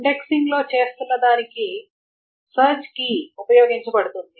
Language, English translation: Telugu, So what is being done in an indexing is a search key is used